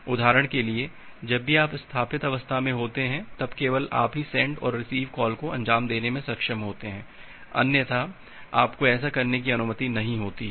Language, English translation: Hindi, For example, whenever you are at the established state then only you are able to execute the send and a receive call, otherwise you are not allowed to do that